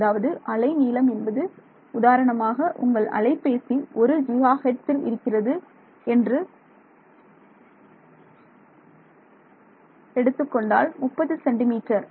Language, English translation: Tamil, So, for example, if I have a 1 gigahertz your mobile phone works at 1 gigahertz 30 centimeters